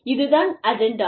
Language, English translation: Tamil, This is the agenda